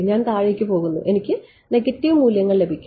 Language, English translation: Malayalam, I am going down I am going to get negative values